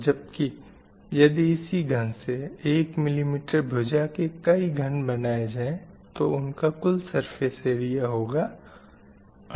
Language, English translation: Hindi, And when you calculate the surface area for 1 mm cube, you will get the surface area of 48